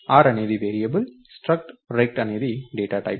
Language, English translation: Telugu, r is a variable, struct rect is the data type